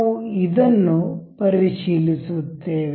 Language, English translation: Kannada, We will check with this